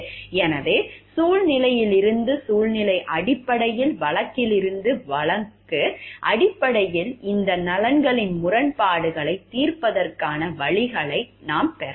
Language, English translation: Tamil, So, from situation to situation basis, case to case basis we can have like ways of solving this conflicts of interests